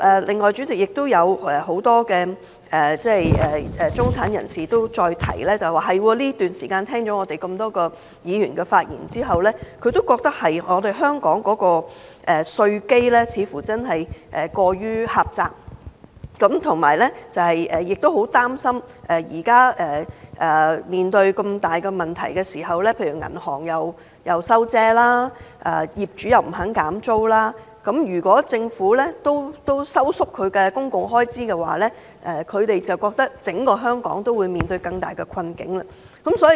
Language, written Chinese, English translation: Cantonese, 另外，主席，有很多中產人士又提到，聽了很多議員的發言後，他們亦覺得香港的稅基過於狹窄，很擔憂現時面對這麼大的問題，銀行收緊信貸、業主不肯減租，如果政府也收縮公共開支，他們會覺得整個香港會面對更大的困境。, President many middle - class people have also pointed out that after listening to Members speeches they share the concern over our narrow tax base and that Hong Kong as a whole will sink deeper into a quagmire if the Government reduces public expenditure in this difficult time when banks are reluctant to grant loans and property owners refuse to lower the rents